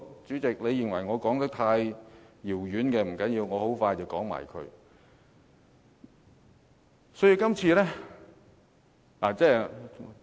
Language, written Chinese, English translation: Cantonese, 主席，你認為我說得太遙遠，不要緊，我很快便完結。, Chairman you may think that I am deviating too far from the question but it does not matter because my speech is drawing to a close